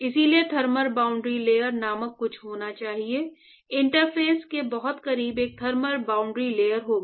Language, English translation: Hindi, So, therefore, the there has to be something called thermal boundary layer, very close to the interface there will be a thermal boundary layer